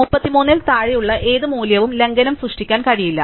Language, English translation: Malayalam, Any value smaller than 33, cannot create a violation up